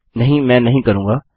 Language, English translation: Hindi, no I wont